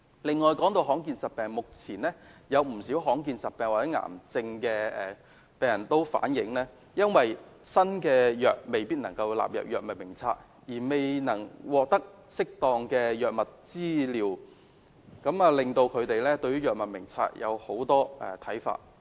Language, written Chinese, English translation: Cantonese, 此外，談到罕見疾病，目前有不少罕見疾病或癌症的病人反映，因為新藥未能夠納入《藥物名冊》而未能獲得適當的藥物治療，令到他們對於《藥物名冊》有很多看法。, Furthermore as we are talking about rare diseases at present a lot of patients suffering from rare diseases or cancer reflect that as new drugs are not included in the Drug Formulary they cannot get the appropriate medical treatment . As a result they have a lot of opinions towards the Drug Formulary